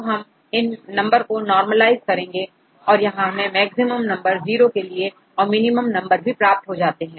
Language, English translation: Hindi, Now you can normalize these numbers because here we get the numbers maximum of 0 and minimum numbers